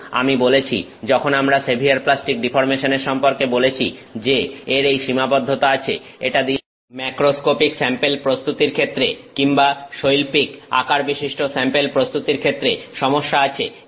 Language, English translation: Bengali, But I mentioned when we spoke about severe plastic deformation that it does have this limitation, making macroscopic samples, making industrial sized samples is a problem with that